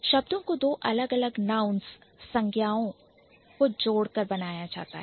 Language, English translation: Hindi, So, the words can be formed by adding two different nouns